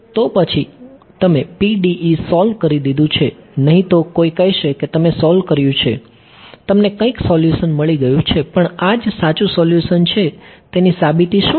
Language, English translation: Gujarati, So, then you have solve the PDE, otherwise someone will say you have solved it you have got some solution, but what is the proof that this is the true solution right